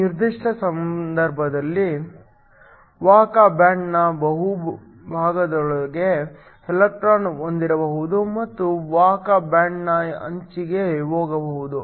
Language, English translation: Kannada, In this particular case, can have an electron within the bulk of the conduction band and can go to the edge of the conduction band